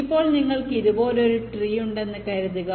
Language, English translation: Malayalam, suppose if i have a tree like this